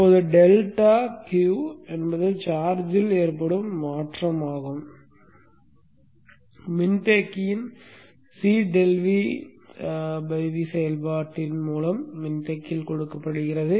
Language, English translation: Tamil, Now, delta Q or the change in the charge in the capacitor, is given given by C delta V by the physics of the operation of the capacitor